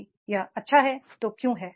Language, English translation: Hindi, If it is good, why so